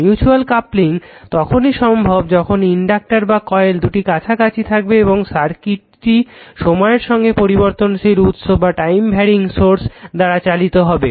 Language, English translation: Bengali, Mutual coupling only exist when the inductors are coils are in close proximity and the circuits are driven by time varying sources